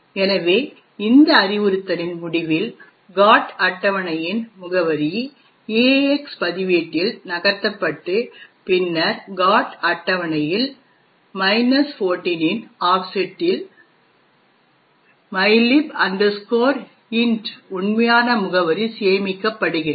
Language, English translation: Tamil, So, this is the GOT table, therefore at the end of this instruction, the address of the GOT table is moved into the EAX register and then at an offset of 14 in the GOT table is where the actual address of mylib int is stored